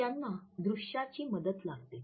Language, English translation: Marathi, So, they like a visual aid